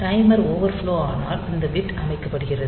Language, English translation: Tamil, So, when this timer overflows this bit is set